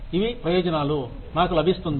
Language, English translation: Telugu, These are the benefits, I get